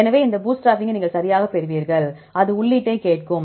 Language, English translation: Tamil, So, you get this bootstrapping right, it will ask for the input